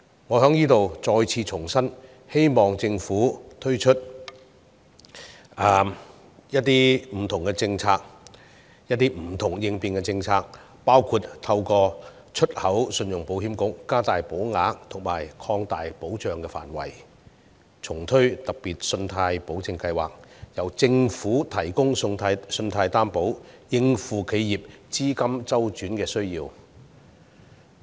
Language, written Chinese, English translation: Cantonese, 我在這裏再次重申，希望政府推出不同的政策和應變措施，包括透過出口信用保險局加大保額和擴大保障範圍，以及重推"特別信貸保證計劃"，由政府提供信貸擔保，以應付企業資金周轉需要。, Here I would like to once again urge the Government to help enterprises meet their liquidity needs by introducing relevant policies and contingencies including the provision of higher and wider insurance coverage through the Export Credit Insurance Corporation and the reintroduction of the Special Loan Guarantee Scheme with the Government acting as the guarantor